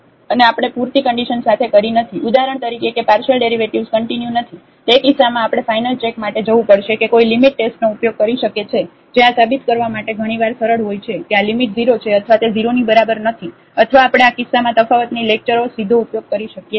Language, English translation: Gujarati, And we are not meeting with the sufficient conditions for example, that the partial derivatives are not continuous In that case we have to go for the final check that one can use the limit test which is often easier to prove that this limit is 0 or it is not equal to 0 or we can directly use the definition of the differentiability in this case